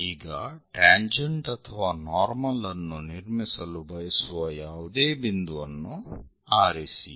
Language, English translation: Kannada, Now, pick any point where we would like to construct a normal or tangent